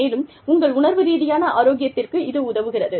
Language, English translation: Tamil, And, this helps, your emotional health